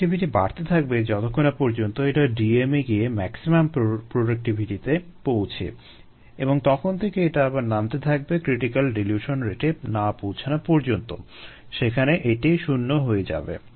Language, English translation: Bengali, so it goes on increasing till it reaches a maximum productivity at d, m and then it will actually drop till the point of the critical dilution rate where it becomes zero